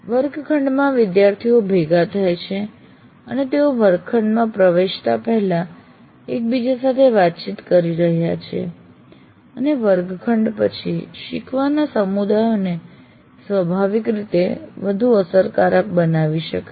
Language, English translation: Gujarati, And because in a classroom students are gathering and they are interacting with each other prior before getting into the classroom and after the classroom, the learning communities can get created naturally and more easily